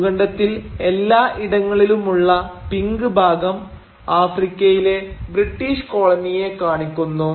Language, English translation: Malayalam, The pink patches throughout the continent, they represent the British colonies in Africa